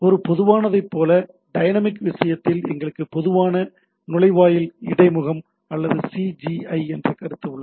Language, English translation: Tamil, In case of like one common, in case of dynamic, we have a concept of Common Gateway Interface or CGI